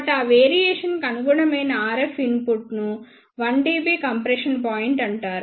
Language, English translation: Telugu, So, then RF input corresponding to that variation is known as the 1 dB compression point